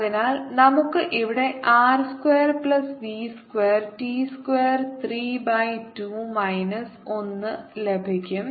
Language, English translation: Malayalam, so we will get here r square plus v square e square, three by two minus one